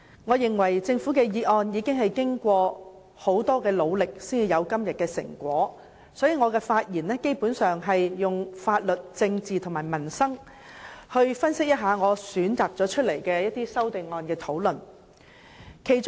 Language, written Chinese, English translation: Cantonese, 我認為政府的《條例草案》是經過多番努力才有今天的成果，所以我的發言基本上會從法律、政治及民生的角度分析我選出來討論的修正案。, I think the Government has made enormous efforts to bring the Bill to this stage so in my speech I will basically analyse the amendments selected by me for discussion from the legal political and livelihood perspectives